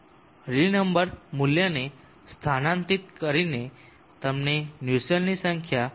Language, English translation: Gujarati, Substituting rally number value you get the value of the Nussle’s number as 24